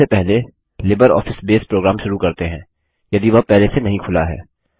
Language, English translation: Hindi, Let us first invoke the LibreOffice Base program, if its not already open